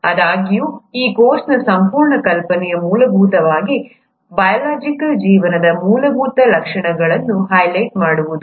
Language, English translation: Kannada, However, the whole idea of this course is to essentially highlight the basic features of biological life